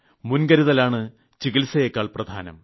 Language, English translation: Malayalam, Prevention is better than cure